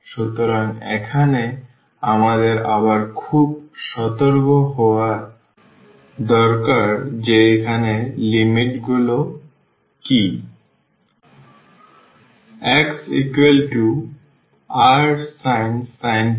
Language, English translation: Bengali, So, here we need to be again very careful that what are the limits here